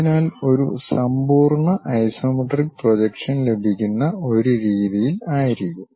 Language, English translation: Malayalam, So, that a complete isometric projection one will be in a position to get